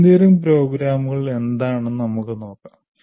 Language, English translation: Malayalam, Let's see what engineering programs are